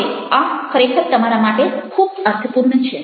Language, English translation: Gujarati, now that is something which you would be really meaningful